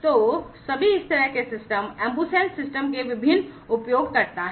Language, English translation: Hindi, So, all are different you know users of this kind of system the AmbuSens system